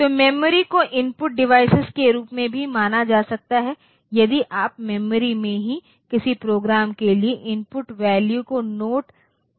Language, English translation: Hindi, So, memory can also be treated as an input device if you note down the input values for a program in the memory itself